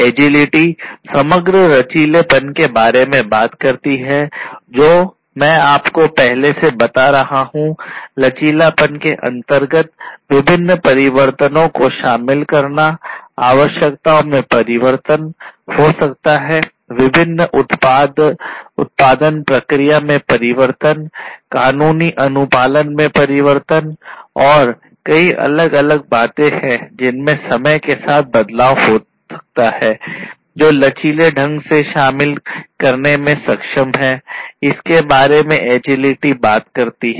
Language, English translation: Hindi, Agility talks about overall flexibility which I was telling you earlier, flexibility in terms of incorporating different changes, changes in requirements, maybe, changes in the different production processes, changes in the legal compliance, and there are so, many different things that might change over time and in being able to incorporate it flexibly is what agility talks about